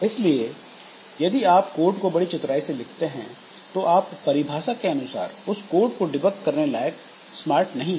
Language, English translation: Hindi, So, if you write the code as cleverly as possible, you are by definition not smart enough to debug it